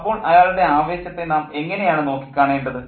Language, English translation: Malayalam, So, how do we then see his enthusiasm